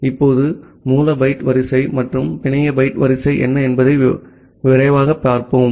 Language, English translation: Tamil, Now, let us look at quickly that what is the source byte order and the network byte order